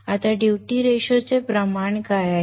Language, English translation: Marathi, Now what is the duty ratio